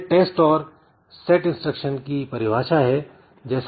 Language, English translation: Hindi, So, this is the test and set instruction definition